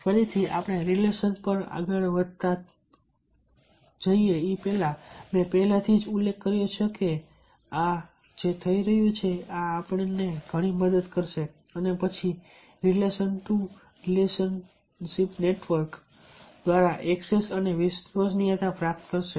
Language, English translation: Gujarati, further, coming to relationship, i have already mentioned that yes, this is, this is going to, this is going to help a lot and ah then gain access and credibility through relationship to relationship network